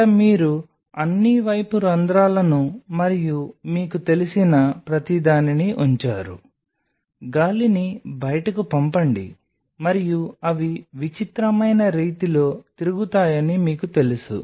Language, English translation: Telugu, There you put all the pipe holes and everything you know the air out and you know circulate they are in peculiar way